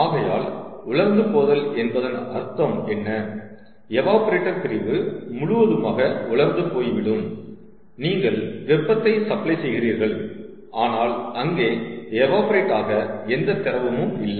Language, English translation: Tamil, ok, so dry out means the evaporator section is completely dry, you are supplying heat, but there is no liquid that is left to evaporate